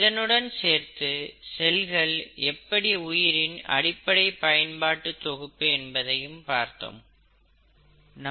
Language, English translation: Tamil, And, then we saw that the cell is the fundamental functional unit of life